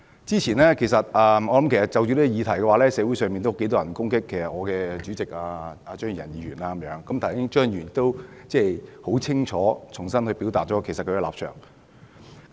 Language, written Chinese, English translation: Cantonese, 就着今天的議題，其實之前有很多人攻擊我們的黨主席張宇人議員，而剛才張宇人議員已非常清楚地重新表達了他的實際立場。, Regarding the subject matter today actually many people have criticized Mr Tommy CHEUNG our party chairman before and he has just reiterated his actual stance clearly